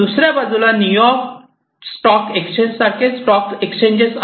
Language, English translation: Marathi, On the other hand, you know stock exchanges like New York stock exchange, etcetera